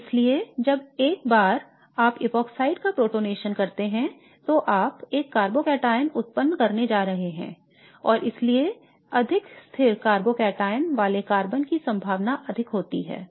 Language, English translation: Hindi, And so once you protonate the epoxide you are going to generate a carbocateon and therefore the carbon having the more stabilized cavocation is more likely